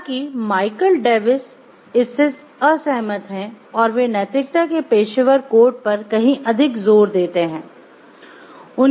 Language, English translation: Hindi, However Michael Davis he disagrees and he places far greater emphasis and professional codes of ethics